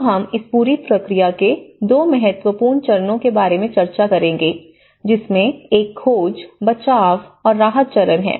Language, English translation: Hindi, Now, we will discuss about 2 important phases of this whole process; one is the search, rescue and the relief phase